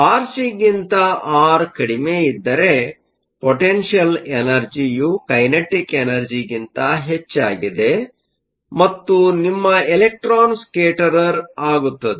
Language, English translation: Kannada, If r is less than r c, if r less than r c here, then the potential energy is greater than the kinetic energy, and your electron will scatter